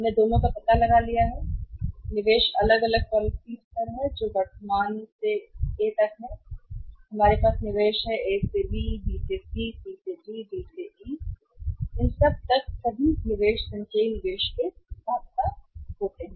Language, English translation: Hindi, We have found out both investments are the different policies level are with us from current way we have the investment from A to B, B to C, C to D, D to E have all the investments cumulative investment as well